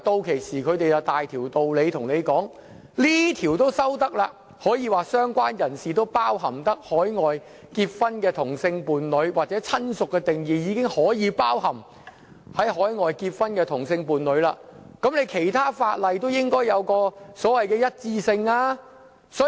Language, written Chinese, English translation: Cantonese, 屆時，他們便有道理說，既然這項條例的"相關人士"定義已涵蓋海外結婚的同性伴侶，或"親屬"的定義已涵蓋海外結婚的同性伴侶，那其他法例也應該有所謂的一致性。, By then they will resort to the justification that same - sex partners in a marriage celebrated overseas are already included in the definitions of related person or relative under this law so other laws should be amended for the sake of the so - called consistency